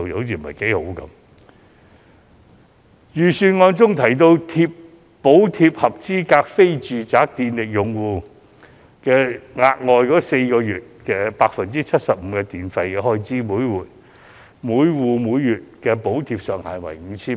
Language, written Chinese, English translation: Cantonese, 預算案建議，補貼合資格的非住宅電力用戶額外4個月每月 75% 電費開支，每戶每月的補貼上限為 5,000 元。, The Budget has proposed to provide a subsidy to each of the eligible non - domestic household accounts for four extra months to cover 75 % of their monthly billed electricity charges subject to a monthly cap of 5,000 per account